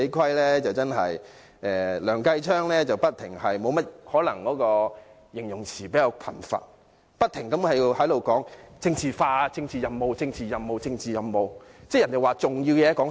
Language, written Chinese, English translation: Cantonese, 可能梁繼昌議員的形容詞比較貧乏，他不停說政治化、政治任務、政治任務、政治任務。, Perhaps Mr Kenneth LEUNG has a rather limited vocabulary . He repeated the word politicized and he said political mission three times